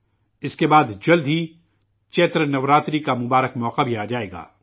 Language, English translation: Urdu, After this, soon the holy occasion of Chaitra Navratri will also come